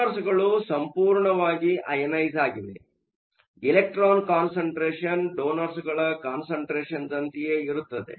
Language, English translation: Kannada, The donors are all completely ionized, so the electron concentration same as the donor concentration